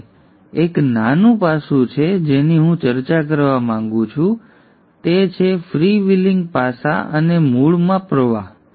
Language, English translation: Gujarati, Now there is one small aspect which I want to discuss that is the freewheeling aspect and the flux within the core